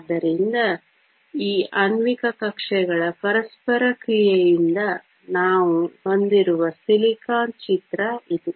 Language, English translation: Kannada, So, this is the picture of silicon we have from interaction of these molecular orbitals